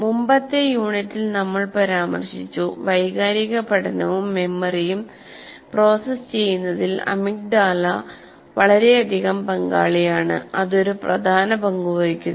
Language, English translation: Malayalam, In either case, we mentioned earlier in the earlier unit, amygdala is heavily involved in processing emotional learning and memory